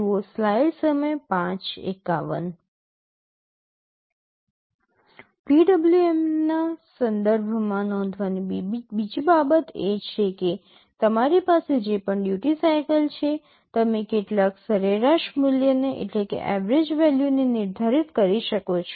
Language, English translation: Gujarati, Another thing to note with respect to PWM is that whatever duty cycle you have, you can define some average value